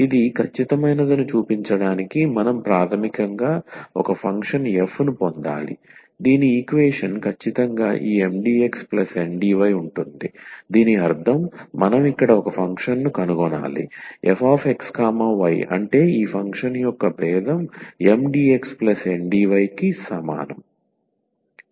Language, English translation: Telugu, So, to show that this is exact we have to basically get a function f whose differential is exactly this Mdx plus Ndy so that means, we need to find a function here f x y such that this differential of this function is equal to Mdx plus Ndy